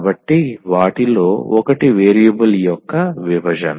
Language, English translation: Telugu, So, the one of them is the separation of variable